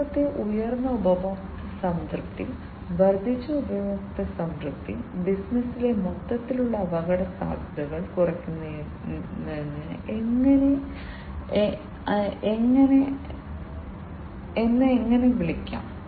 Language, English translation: Malayalam, The third one is the higher customer satisfaction, increased customer satisfaction let me call it that way, reducing the overall risks in the business